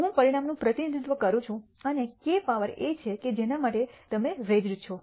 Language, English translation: Gujarati, I represents the outcome and k is the power to which you have raised